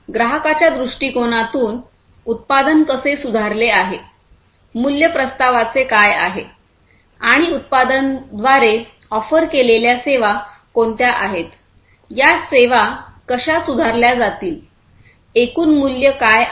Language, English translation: Marathi, From a customer viewpoint, how the product has improved, what is the value proposition and the services that the product offers; how these services are going to be improved, what is the overall value proposition